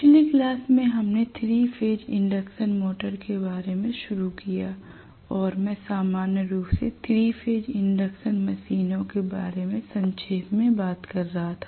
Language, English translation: Hindi, So yesterday we started on 3 Phase Induction Motor and I was talking briefly about the 3 phase machines in general